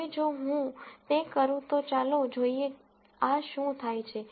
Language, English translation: Gujarati, Now, if I do that then let us see what happens to this